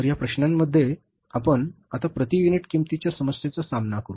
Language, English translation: Marathi, So, in this problem, we will now deal with the problem of the per unit cost